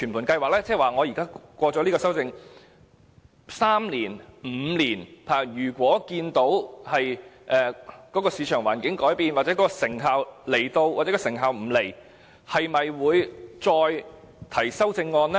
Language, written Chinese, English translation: Cantonese, 即在通過修正案3年、5年後如果看到市場環境改變、看到有成效或成效不彰，又會否再次提出修正案呢？, What I mean is if the Government would once again propose amendments three or five years after the passage of this amendment when there are changes in the market environment and when it has some idea of the effectiveness of the current measures